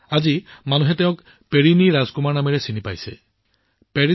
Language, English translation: Assamese, Today, people have started knowing him by the name of Perini Rajkumar